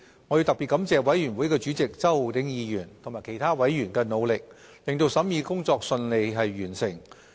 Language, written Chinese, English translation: Cantonese, 我要特別感謝法案委員會主席周浩鼎議員及其他委員的努力，令審議工作順利完成。, I would like to particularly thank Mr Holden CHOW Chairman of the Bills Committee and other members for their efforts so that the scrutiny work could be finished smoothly